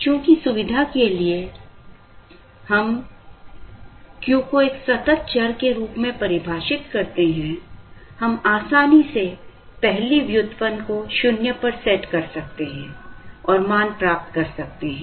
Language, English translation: Hindi, Since for convenience, we define Q as a continuous variable, we could easily set the first derivative to 0 and get the value